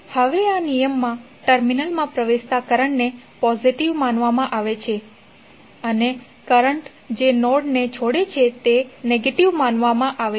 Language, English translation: Gujarati, Now this, in this law current entering the terminals are regarded as positive and the current which are leaving the node are considered to be negative